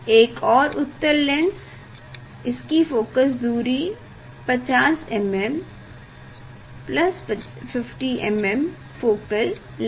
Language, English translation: Hindi, Another convex lens, so of it is the focal length is 50 millimeter plus 50 millimeter focal length is plus 50 millimeter